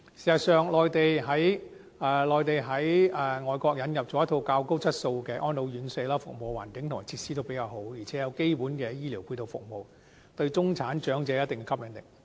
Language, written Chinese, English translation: Cantonese, 事實上，內地在外國引入了一套較高質素的安老院舍，服務環境和設施也比較好，而且有基本的醫療配套服務，對中產長者有一定的吸引力。, Modelling on their overseas counterparts some Mainland RCHEs not only offer high - quality services as well as better environment and facilities but they also provide basic medical support services making them considerably attractive to middle - class elderly